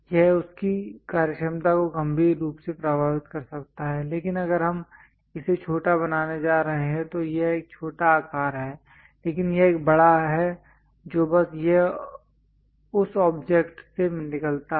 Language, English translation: Hindi, It may severely affect the functionality of that, but in case if we are going to make it a smaller one this this is small size, but this one large it just comes out of that object